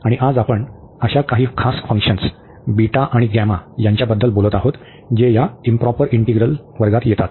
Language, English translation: Marathi, And today we will be talking about some special functions beta and gamma which fall into the class of these improper integrals